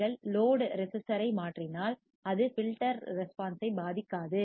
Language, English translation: Tamil, If you change the load resistor, it will not affect the filter response